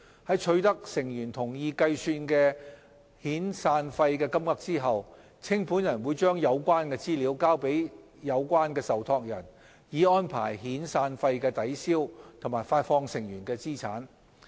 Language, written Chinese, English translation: Cantonese, 在取得成員同意計算的遣散費金額後，清盤人會將有關資料交給有關受託人，以安排遣散費的抵銷和發放成員的資產。, After agreeing with members on the amount of their severance payment the liquidator will pass the information to the relevant trustees for arrangement of offsetting and payment of members assets